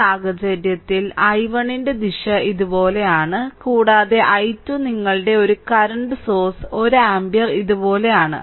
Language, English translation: Malayalam, So, in this case direction of i 1 is like this and i 2 your one current source 1 ampere is like this